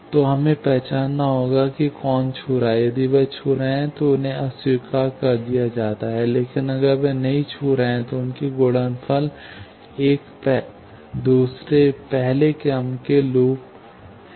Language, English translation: Hindi, So, we will have to identify, who are touching; if they are touching, they are rejected; but, if they are non – touching, two loops then their product is one second order loop